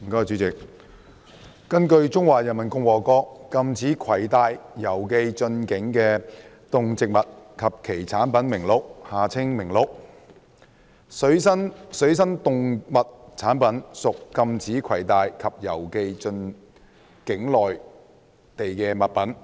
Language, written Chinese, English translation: Cantonese, 主席，根據《中華人民共和國禁止攜帶、郵寄進境的動植物及其產品名錄》，水生動物產品屬禁止攜帶或郵寄進境內地的物品。, President according to the Catalogue of Animals and Plants and Animal and Plant Products Prohibited from being Carried or Posted into the Peoples Republic of China aquatic animal products are prohibited from being carried or posted into the Mainland